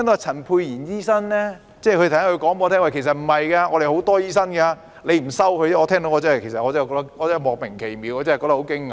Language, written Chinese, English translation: Cantonese, 陳沛然醫生剛才說，我們有很多醫生，只是政府不收而已，我聽完感到莫名其妙，很驚訝。, Dr Pierre CHAN has said just now that we have many doctors but the Government refuses to accept them . I was perplexed and surprised upon hearing his remarks